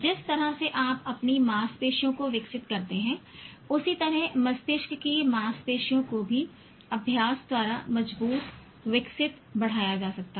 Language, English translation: Hindi, Just like the way you develop your muscle, brine muscle can also be strengthened, developed, enhanced again by practice